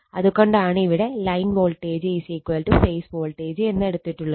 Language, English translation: Malayalam, So, it is line voltage is equal to phase voltage